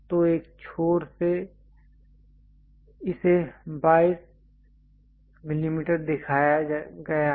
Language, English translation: Hindi, So, from one end it is shown 22 mm this one